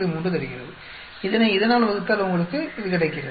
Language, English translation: Tamil, This divided by this gives you 36, this divided by this gives you 2